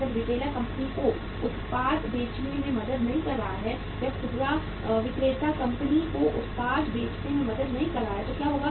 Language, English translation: Hindi, When the retailer is not helping the company to sell the product, when the retailer is not helping the company to sell the products sometime what happens